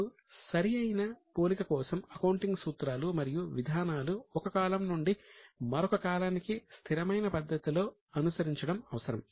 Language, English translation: Telugu, Now, in order to achieve the comparability, it is necessary that the accounting principles and policies are followed from one period to another in a consistent manner